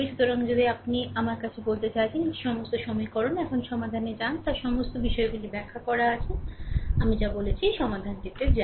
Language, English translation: Bengali, So, if you I mean these are all the equations, now go to the solution, all these things are explained, now go to the solution right whatever I said